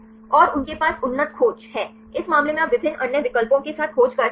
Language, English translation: Hindi, And they have the advanced search; in this case you can search with the various other options